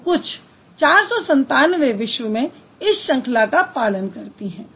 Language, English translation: Hindi, So approximately 497 languages in the world, they follow this pattern